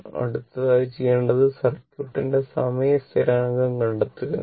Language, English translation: Malayalam, Next, what we have to do is, we have to find out the time constant of the circuit